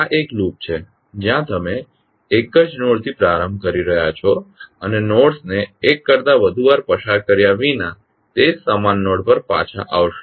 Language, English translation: Gujarati, This is one loop where you are starting from the same node and coming back to the same node without tracing the nodes more than once